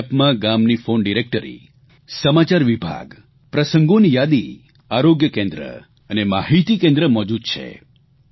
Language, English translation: Gujarati, This App contains phone directory, News section, events list, health centre and information centre of the village